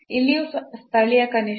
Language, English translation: Kannada, So, this is a local minimum